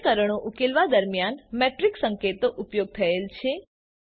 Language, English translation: Gujarati, Matrix notations are used while solving equations